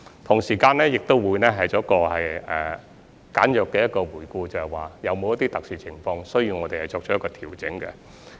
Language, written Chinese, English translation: Cantonese, 同時，我們亦會簡約地回顧，有否一些特殊情況需要我們作調整。, Besides we will also briefly review whether there is any special situation that requires adjustments